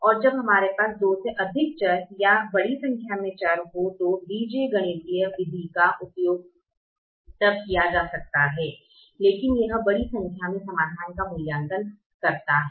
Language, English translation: Hindi, the algebraic method can be used when we have more than two variables or large number of variables, but it evaluates a large number of solutions